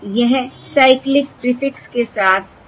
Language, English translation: Hindi, The block with cyclic prefix is basically your 0